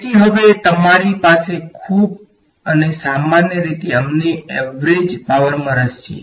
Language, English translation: Gujarati, So, now, you have a very and usually we are interested in average power ok